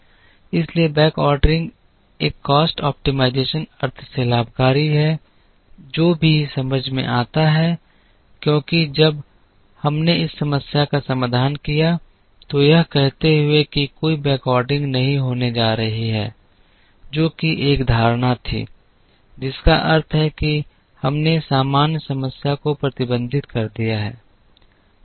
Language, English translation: Hindi, So, backordering is advantageous from a cost optimization sense, which is also understandable because when we solved this problem optimally, saying that there is going to be no backordering, which was one of the assumptions, which means we have restricted the normal problem that could include backordering and we had solved a restricted version of a minimization problem